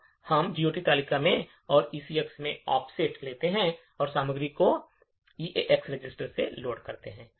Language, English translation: Hindi, Now, we take offset in the GOT table and that to ECX and load the contents into EAX register